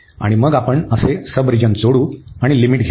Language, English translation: Marathi, And then we add such sub regions and take the limits